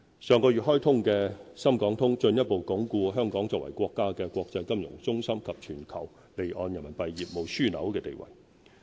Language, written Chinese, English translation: Cantonese, 上月開通的"深港通"進一步鞏固香港作為國家的國際金融中心及全球離岸人民幣業務樞紐的地位。, The Shenzhen - Hong Kong Stock Connect launched last month has further reinforced Hong Kongs status as an international financial centre of our country and a global offshore Renminbi RMB business hub